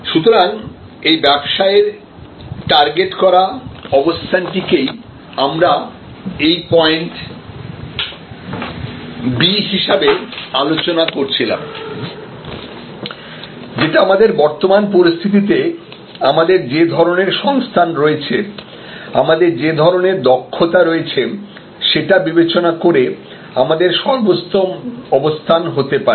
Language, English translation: Bengali, So, this targeted business position is what we were discussing as this point B that what could be our best position given our current position, given the kind of resources that we have, given the kind of competencies we have